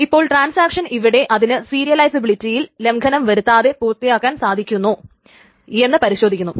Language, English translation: Malayalam, So the transaction checks whether it can complete without violating this serialization